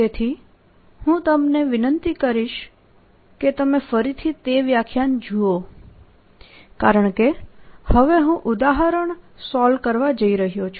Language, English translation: Gujarati, so i would request you to go and look at that lecture again, because now i am going to solve examples